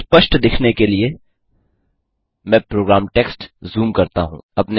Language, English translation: Hindi, Let me zoom into the program text to have a clear view